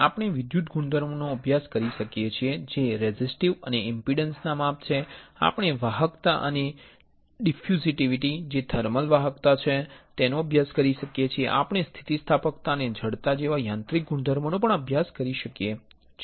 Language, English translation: Gujarati, We can study the electrical properties which are resistive and impedance measurements; we can study the conductivity and diffusivity which is thermal conductivity; we can also study the mechanical properties like elasticity and stiffness